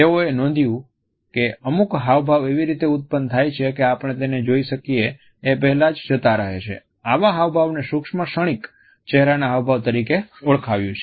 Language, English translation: Gujarati, They noted that certain expressions occur and go even before we become conscious of them and they gave them the name micro momentary facial expressions